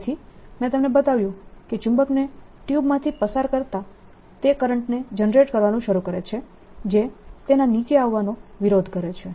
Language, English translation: Gujarati, so what i have shown you is, as the magnet is put it in the tube, a conducting tube, it starts generating current that opposes its coming down